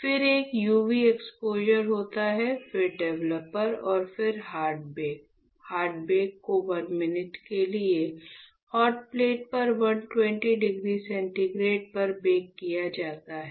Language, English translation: Hindi, Then there is a UV exposure, then developer, and then hard bake; hard bake is done at 120 degree centigrade on a hotplate for 1 minute right